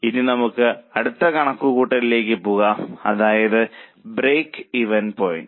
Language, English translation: Malayalam, Now let us go to the next calculation that is break even point